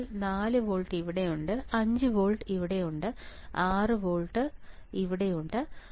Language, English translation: Malayalam, So, 4 volts we had to 4 volts is here right, where is 5 volts 5 volts is here right where is 6 volts 6 volts is here right